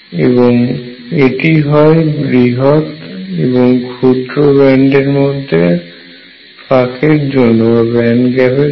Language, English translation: Bengali, This is for large gap, and this is for small band gap